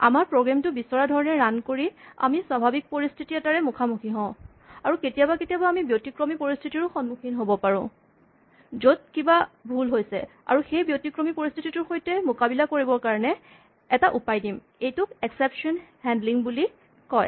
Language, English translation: Assamese, We encounter a normal situation, the way we would like our program to run and then occasionally we might encounter an exceptional situation, where something wrong happens and what we would like to do is provide a plan, on how to deal with this exceptional situation and this is called exception handling